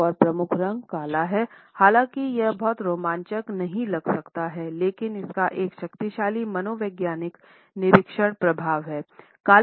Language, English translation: Hindi, Another major color is black and although it might not seem very exciting, it has powerful psychological effects on the observer